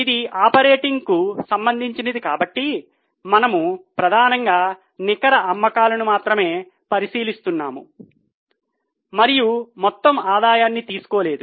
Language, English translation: Telugu, Since this is operating related, we are mainly considering only net sales and not taking total revenue